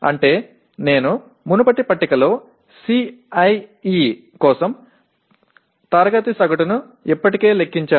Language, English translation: Telugu, That means I have already computed the class average for CIE in the previous table